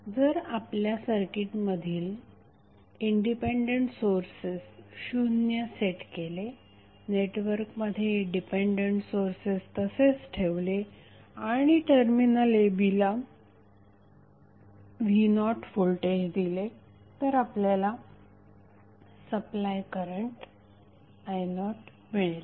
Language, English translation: Marathi, If you have circuit with all independent sources set equal to zero and the keeping all the dependent sources connected with the network the terminal a and b would be supplied with voltage v naught which will supply some current i naught